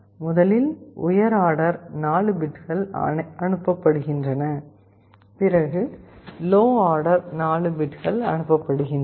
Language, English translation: Tamil, First the higher order 4 bits is sent, first the lower order 4 bits are sent